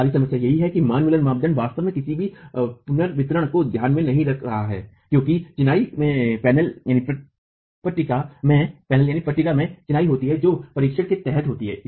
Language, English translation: Hindi, The other problem is the Manmuller criterion is really not taking into account any redistribution after a crack formation occurs in the masonry panel that is under examination